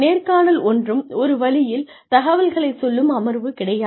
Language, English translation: Tamil, This is not, a one way information giving session